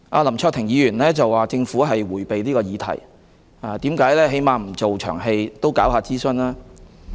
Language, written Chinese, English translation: Cantonese, 林卓廷議員說政府迴避這項議題，質疑當局"為何連一場戲也不做，起碼應該進行諮詢吧？, Mr LAM Cheuk - ting said that the Government has evaded the issue and queried why does the Administration not even bother to put up a show by at least conducting a consultation exercise?